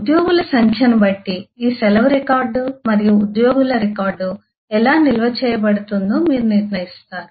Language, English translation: Telugu, depending on the number of employees, you will decide whether how, with the all these, leave record and employee record will be stored